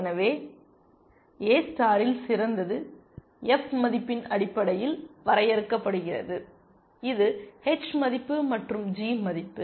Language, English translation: Tamil, So, in A star the best is defined in terms of the f value, which is h value plus g value